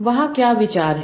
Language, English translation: Hindi, What is the idea there